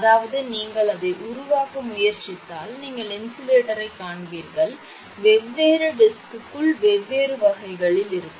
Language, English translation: Tamil, I mean if you try to make it then you will find insulator different disc will be of different types I mean one will be different from another